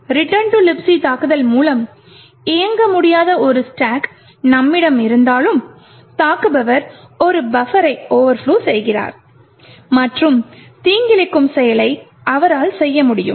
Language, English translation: Tamil, With a return to libc attack even though we have a stack which is non executable, still an attacker would be able to overflow a buffer and do something malicious